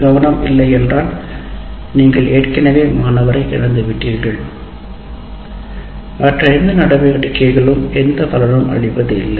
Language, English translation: Tamil, And without attention, obviously, you already lost the student and none of the other activities will have any meaning